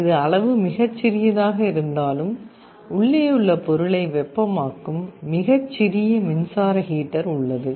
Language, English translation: Tamil, Although it is very small in size, there is a very small electric heater that heats up the material inside